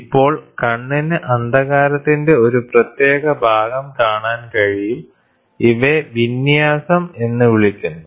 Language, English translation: Malayalam, The eye is now able to see a distinct patch of darkness; these are dark darkness termed as fringes